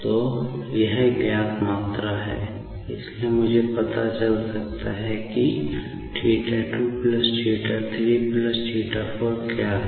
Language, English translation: Hindi, So, this is known quantity, so I can find out, what is theta 2 plus theta 3 plus theta 4